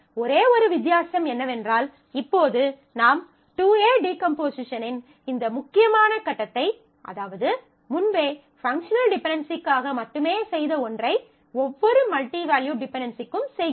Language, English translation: Tamil, Only difference being that, now you may be doing this crucial step of 2A decomposition, for every multivalued dependency also earlier we were doing this only for the functional dependency